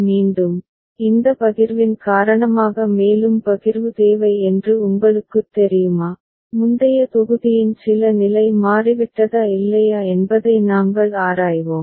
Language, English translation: Tamil, Again, we shall examine because of this partition whether you know further partitioning is required or not, some status of the previous block has changed or not